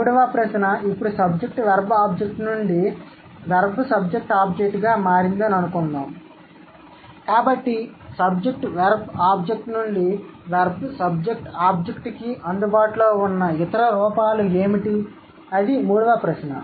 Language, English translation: Telugu, Third question, now since SVO, let's say SVO has changed into VSO, so from the journey of SVO to VSO, what are the other forms available